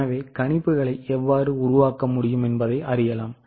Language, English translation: Tamil, So, this is how the projections can be done